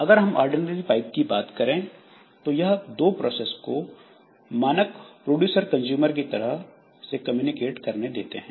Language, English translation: Hindi, So, in case of ordinary pipes, they will allow two processes to communication in common to communication in standard producer consumer style